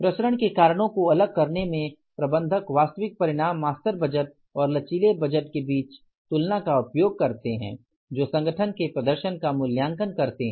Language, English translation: Hindi, So, in isolating the causes of variances, managers use comparisons among actual results, master budgets and flexible budgets to evaluate the organization performance